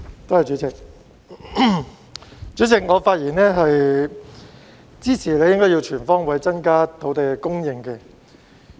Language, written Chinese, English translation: Cantonese, 代理主席，我發言支持"全方位增加土地供應"議案。, Deputy President I speak in support of the motion on Increasing land supply on all fronts